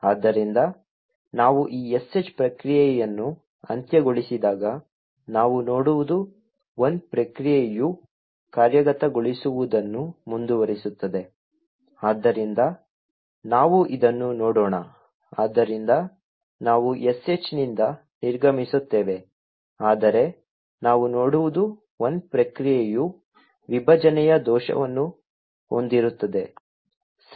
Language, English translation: Kannada, So when we terminate this sh process what we see is that the one process will continue to execute, so let us see this happening so we exit the sh but what we will see is that the one process will have a segmentation fault okay